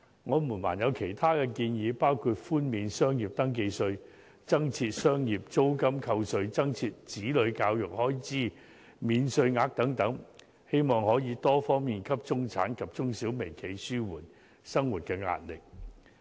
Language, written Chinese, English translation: Cantonese, 我們還有其他建議，包括寬免商業登記費、增設商業租金扣稅、增設子女教育開支免稅額等，希望可以多方面紓緩中產及中小微企的生活壓力。, We have also proposed relief measures in various aspects in the hope of alleviating the livelihood burden of the middle class SMEs and micro - enterprises . They include a waiver of the business registration fees the introduction of tax deduction for commercial premises rents and a tax allowance for childrens education